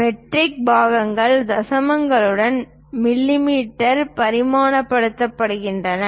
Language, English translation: Tamil, Metric parts are dimensioned in mm with decimals